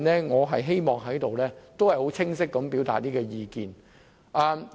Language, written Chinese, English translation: Cantonese, 我希望就此清晰表達我的意見。, I hope to clearly express my view on this